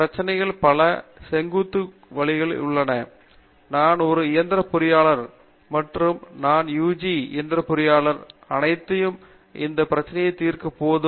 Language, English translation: Tamil, Many of the problems cannot be put in vertical silos, where I am a mechanical engineer and all I learnt in UG mechanical engineering is enough to solve this problem